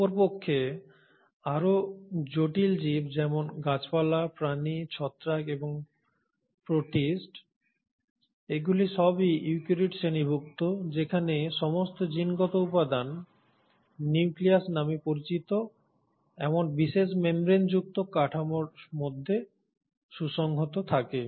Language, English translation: Bengali, In contrast the more complex organism which involves the plants, the animals, the fungi and the protists, all belong to the class of eukaryotes where the entire genetic material is very well organised within a special membrane bound structure called as the nucleus